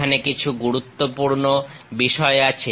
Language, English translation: Bengali, There are important points